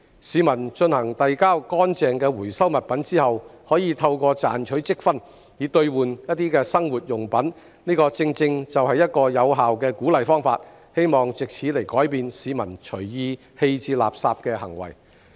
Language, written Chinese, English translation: Cantonese, 市民遞交乾淨的回收物品後，可透過賺取積分兌換生活用品，這正正是一個有效的鼓勵方法，希望藉此改變市民隨意棄置垃圾的行為。, By dropping off clean recyclables people can earn reward points to redeem daily necessities . This is an effective incentive which hopefully can change peoples indiscriminate waste disposal behaviours